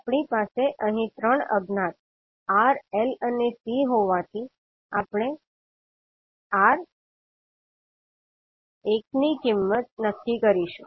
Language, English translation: Gujarati, Since we have 3 unknown here R, L and C, we will fix one value R